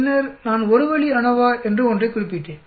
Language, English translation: Tamil, Then I mentioned something called one way ANOVA